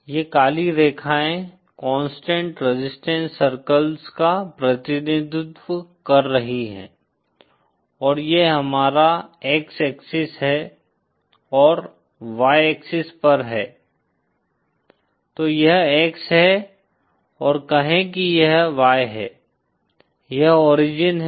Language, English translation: Hindi, Say these black lines are representing constant resistance circles and so this is our X our X axis and Y axis on theÉSo this is X and say this is Y, this is the origin